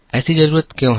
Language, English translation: Hindi, Why is that such a need